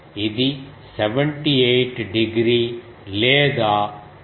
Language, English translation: Telugu, This is 78 degree or 1